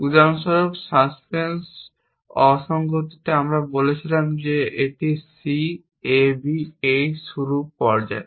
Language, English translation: Bengali, For example, in the suspense anomaly, we said this is C A B; this is the start stage